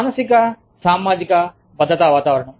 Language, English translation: Telugu, Psychosocial safety climate